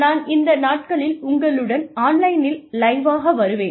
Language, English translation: Tamil, And, maybe one of these days, I will come online, I will come live